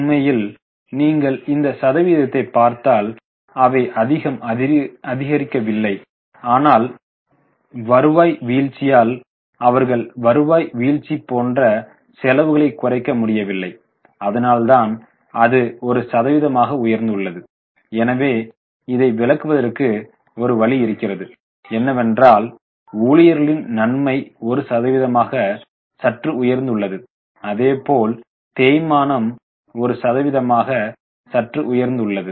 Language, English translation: Tamil, Actually, if you look at the amount, they have not increased much, but because of the fall in the revenue, they could not reduce their expenses like the fall in the revenue that's why as a percentage they have gone up so this is one way of interpreting it employee benefit as a percentage has slightly gone up depreciation as a percentage has slightly gone up so various figures now you can get it as a percent